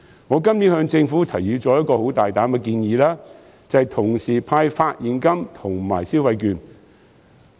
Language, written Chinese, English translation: Cantonese, 我今年向政府提出了一項很大膽的建議，就是同時派發現金和消費券。, I have made a bold proposal to the Government this year and that is giving out cash and consumption vouchers at the same time